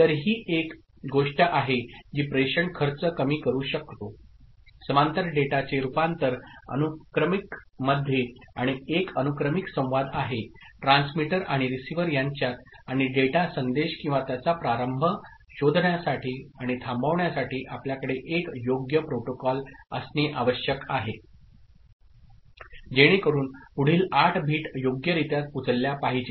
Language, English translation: Marathi, So, this is one thing that can reduce the cost of transmission by converting parallel data to serial and having a serial communication between transmitter and receiver and of course, we need to have an appropriate protocol to find out start of the data, message or the information and the stop of it, so that next 8 bits again appropriately be picked up, ok